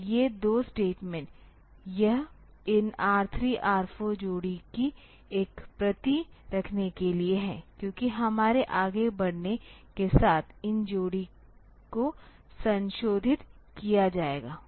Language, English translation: Hindi, So, these two statements; this is just to keep a copy of these R 3; R 4 pair because this pair will be modified as we proceed